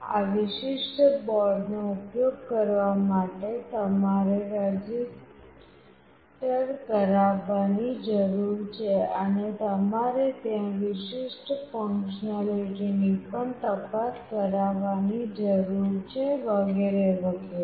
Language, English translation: Gujarati, For using this particular board you need to register, and you have to also check certain functionalities which are there, etc